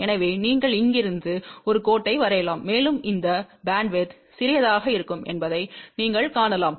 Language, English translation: Tamil, So, you can draw a line from here to here and you can see that this bandwidth will be relatively small